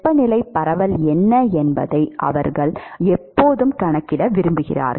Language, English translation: Tamil, They want always quantify what is the temperature distribution